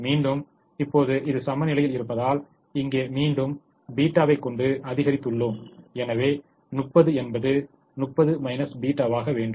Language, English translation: Tamil, and once again, since this is balanced now, but we have increased a theta here, so thirty has to become thirty minus theta